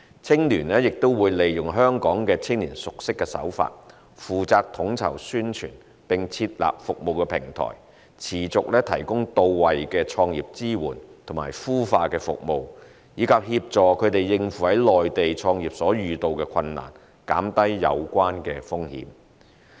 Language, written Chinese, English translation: Cantonese, 青聯亦會利用香港青年熟悉的手法，負責統籌宣傳，並設立服務平台，持續提供到位的創業支援及孵化服務，以及協助他們應付在內地創業所遇到的困難，減低有關風險。, HKUYA will also by adopting approaches familiar to Hong Kong young people coordinate publicity activities and establish a service platform to provide them with ongoing start - up support and incubation services which best meet their needs and assist them in coping with the difficulties encountered in starting their business in the Mainland thereby reducing the associated risks